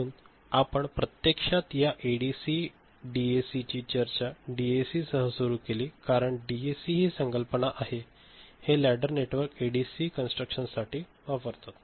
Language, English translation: Marathi, That is why we actually started discussion of this ADC DAC with DAC because DAC is that concept, this ladder network is you know, inherent in this type of ADC construction right